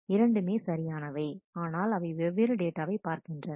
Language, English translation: Tamil, Both are rights, but referring to different data items